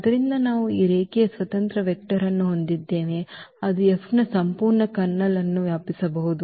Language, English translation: Kannada, So, we have this linearly independent vector which can span the whole Kernel of F